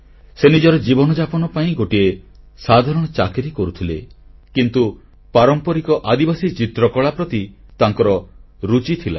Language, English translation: Odia, He was employed in a small job for eking out his living, but he was also fond of painting in the traditional tribal art form